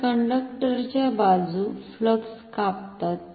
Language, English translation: Marathi, So, the conductor sides cutting flux